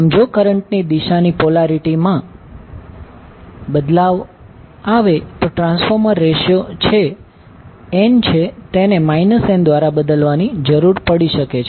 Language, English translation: Gujarati, So, if the polarity of the direction of the current changes, the transformation ratio, that is n may need to be replaced by minus n